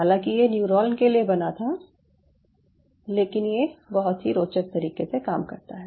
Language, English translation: Hindi, crazily though it was made for neuron, but it does some very interesting stuff